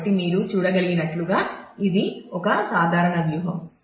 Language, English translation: Telugu, So, that is a simple strategy as you can see